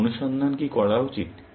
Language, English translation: Bengali, What should my search do